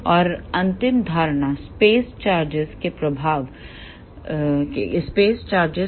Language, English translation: Hindi, And the last assumption is effects of space charges are negligible